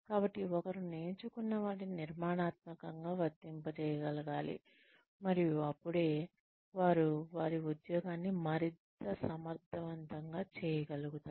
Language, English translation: Telugu, So, one should be able to apply, constructively, what one has learnt, and be able to do the job at hand, more efficiently